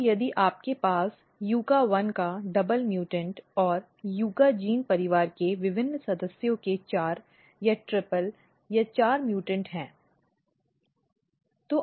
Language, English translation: Hindi, So, if you have double mutant of YUCCA1 and 4 or triple or four mutants of different members of YUCCA gene family